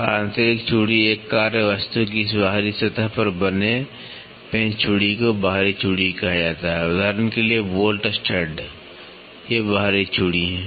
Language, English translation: Hindi, And, internal thread the screw thread formed on the external surface of a work piece is called as external thread for example, bolt stud these are external threads